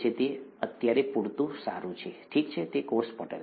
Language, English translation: Gujarati, That is good enough for now, okay, that is what a cell membrane is